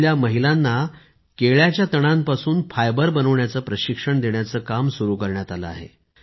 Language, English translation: Marathi, Here, the work of training women to manufacture fibre from the waste banana stems was started